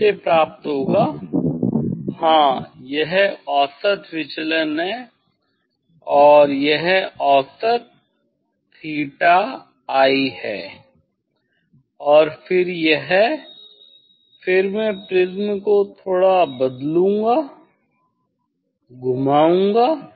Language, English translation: Hindi, will get from yes this is the mean deviation, and this is the mean theta i and then this then I will change the rotate the prism slightly